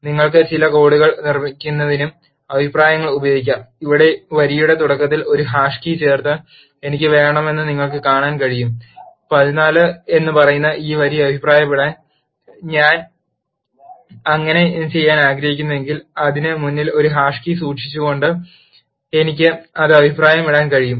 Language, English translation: Malayalam, Comments can also be used to make certain lines of code in at you can do that by inserting a hash key at the beginning of the line like here you can see I want to comment this line which says a is equal to 14 if I wish to do so, I can comment it by keeping a hash key in front of it